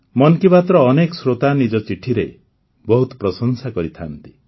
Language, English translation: Odia, Many listeners of 'Mann Ki Baat' shower praises in their letters